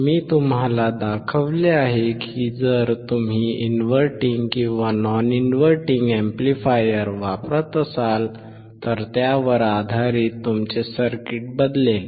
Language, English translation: Marathi, I have shown you that if you use inverting or non inverting amplifier, based on that your circuit would change